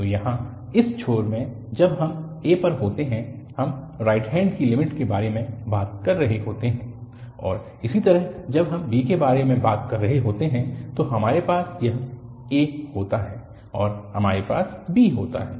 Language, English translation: Hindi, So, here at this end when we are at a, we are talking about the right hand limit and similarly when we are talking about b, again we have this a and we have b